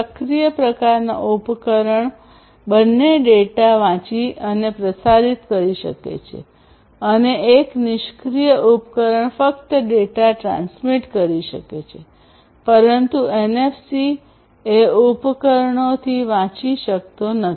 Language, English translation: Gujarati, An active device, active type of device can both read and transmit data, and a passive device can only transmit data, but cannot read from the NFC devices